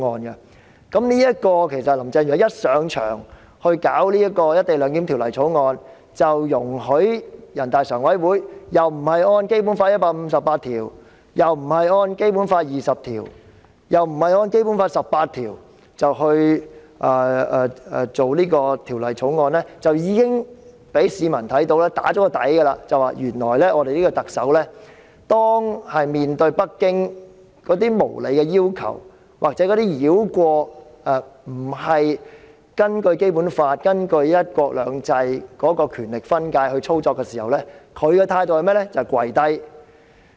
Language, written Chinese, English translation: Cantonese, 林鄭月娥一上任即推動《條例草案》，容許人大常委會不按照《基本法》第一百五十八條、第二十條或第十八條來推動這項《條例草案》，已經讓市民心中有數，知道當特首面對北京無理要求，或者中央繞過《基本法》和"一國兩制"的權力分界來操作時，其態度是怎樣的呢？, Carrie LAM started pushing through the Bill immediately after taking office allowing NPCSC to take it forward in disregard of Article 158 Article 20 or Article 18 of the Basic Law . From this people understand how the Chief Executive will react when she faces unreasonable demands from Beijing and when the Central Authorities try to operate while bypassing the Basic Law and the power delineation under one country two systems she simply kowtows in submission